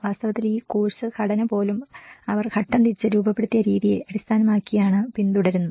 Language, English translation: Malayalam, So in fact, even this course structure has been followed based on the way they have structured the phase wise